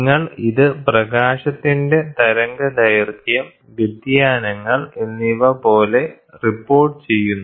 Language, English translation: Malayalam, And you report this as in terms of wavelength of light, the deviations